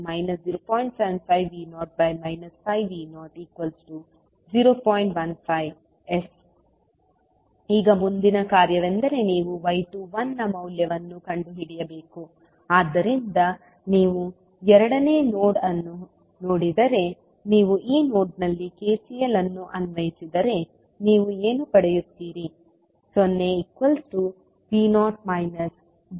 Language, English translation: Kannada, Now, next task is that you have to find the value of y 21, so if you see the second node you apply KCL at this node also, what you will get